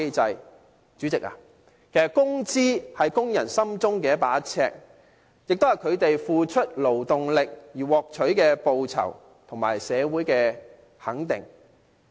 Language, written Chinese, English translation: Cantonese, 代理主席，其實工資是工人心中的一把尺，也是他們付出勞動力而獲取的報酬和社會的肯定。, Deputy President wages are a yardstick in workers mind . It is also a reward for their toil and recognition by society